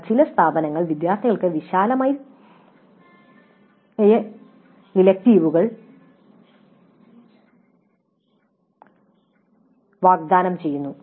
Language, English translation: Malayalam, But some institutes do offer a wide choice for the students